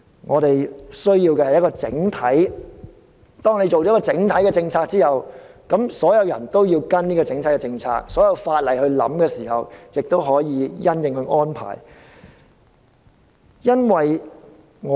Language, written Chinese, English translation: Cantonese, 我們需要一項整體的政策，當有了一項整體的政策之後，所有人都要跟隨這項政策，在考慮立法時亦可以因應這項政策而作出安排。, We need a holistic set of policies . When a holistic set of policies is formulated everyone should adhere to them . Legislation can be considered taking into account such policies